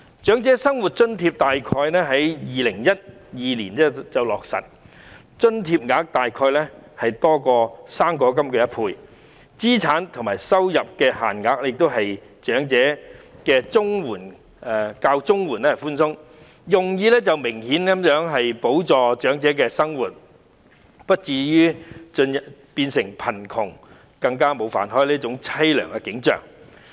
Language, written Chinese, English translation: Cantonese, 長者生活津貼在2012年左右落實，金額約多於"生果金 "1 倍，有關的資產和收入限額亦較長者綜合社會保障援助寬鬆，用意明顯是補助長者的生活，使他們不至於因貧窮而沒有飯吃，落得淒涼。, The Old Age Living Allowance OALA was introduced in around 2012 with payment doubled that of fruit grant . Also the assets and income limits concerned are more lenient than those for elderly Comprehensive Social Security Assistance . The purpose is obviously to subsidize elders living expenses so that they will not be so desperate as to go without food for being poor